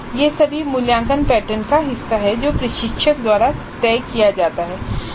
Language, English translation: Hindi, Now these are all part of the assessment pattern which is decided by the instructor